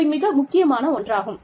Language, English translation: Tamil, These are very important